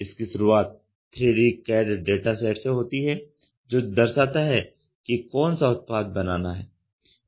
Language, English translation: Hindi, It starts from a 3D CAD dataset that represents the part to be produced